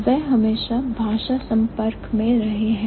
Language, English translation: Hindi, They have always been language contact